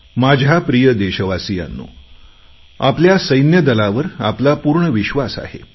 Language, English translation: Marathi, My dear countrymen, we have full faith in our armed forces